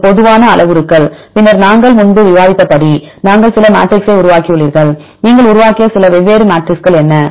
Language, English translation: Tamil, This is general parameters, then as we discussed earlier, we developed few matrixes what are few different matrixes you developed